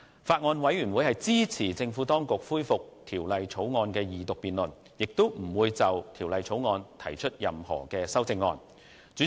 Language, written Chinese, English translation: Cantonese, 法案委員會支持政府當局恢復《條例草案》的二讀辯論，亦不會就《條例草案》提出任何修正案。, The Bills Committee supports the resumption of Second Reading debate on the Bill and the Bills Committee will not propose any amendments to the Bill